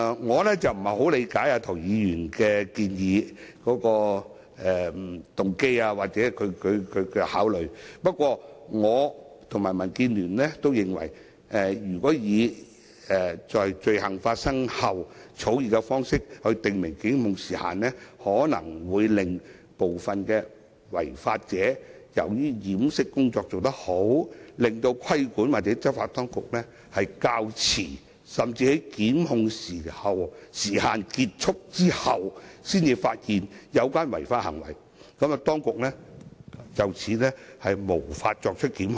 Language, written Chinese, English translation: Cantonese, 我不太理解涂議員的動機或考慮，不過，我及民建聯均認為，如果以"於犯罪後"的草擬方式訂明檢控時限，部分違法者可能會由於掩飾工夫做得好，使規管或執法當局較遲甚至在檢控時限完結後才發現有關違法行為，以致無法作出檢控。, I do not quite understand the motives or considerations of Mr TO . However DAB and I are of the view that if the formulation of after the commission of the offence is used to prescribe the time limit for prosecution some offenders may be able to delay the discovery of their offences by law enforcement and regulatory authorities with good cover - up skills . In this way their offenses will be discovered at a later time or even after the expiry of the time limit for prosecution rendering prosecution impossible